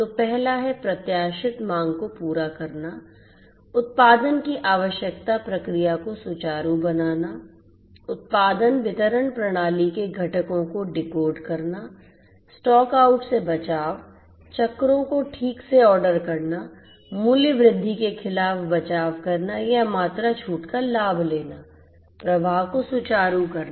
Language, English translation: Hindi, So, the first one is meeting the anticipated demand, smoothening the production requirement procedure, decoupling components of the production distribution system, protecting against stock outs, properly ordering the cycles, hedging against price increases or taking advantage of quantity discounts, smoothening the flow of operations, so all of these are different functions of inventory management